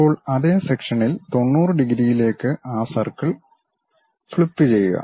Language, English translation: Malayalam, Now, flip that circle into 90 degrees on the same section show it